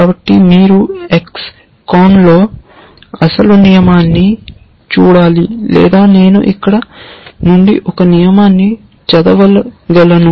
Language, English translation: Telugu, So, you should look up the actual rule in X CON or maybe I can just read out a rule from here